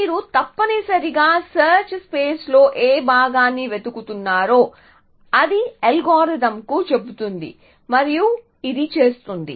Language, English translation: Telugu, So, it tells algorithm which part of the search space you are searching essentially and this it does